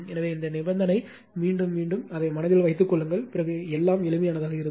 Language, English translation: Tamil, So, only these condition repeat just keep it in mind then everything will find simple right